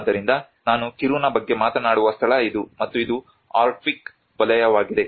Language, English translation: Kannada, So this is the place where I am talking about Kiruna and this is the arctic circle